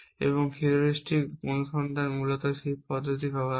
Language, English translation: Bengali, And heuristic search essentially uses that approach